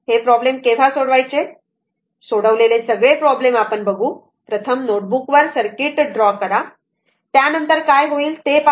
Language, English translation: Marathi, When you will solve this problem know all this problem when you will see this, first you will draw the circuit on your notebook after that you see what is happening right